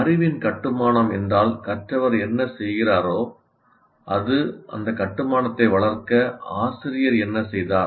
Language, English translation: Tamil, But if construction is what the learner does, what the teacher does is to foster that construction